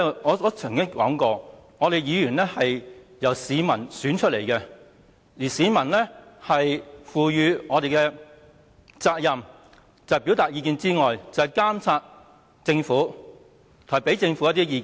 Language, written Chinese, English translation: Cantonese, 我曾經說過，議員是由市民選出的，而市民賦予我們的責任，除了表達意見外，還要監察政府，並且向政府提出意見。, I have said before that Members are elected by the people . Members are entrusted by the public the responsibility to express their views monitor the Government and convey their views to the Government